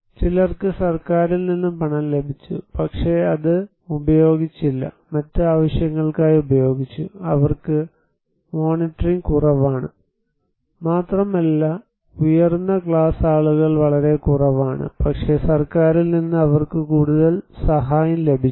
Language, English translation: Malayalam, And some received the money from the government, but did not use it, did use it for other purposes so, they have less monitoring, and upper class people are very less but they receive more assistance from the government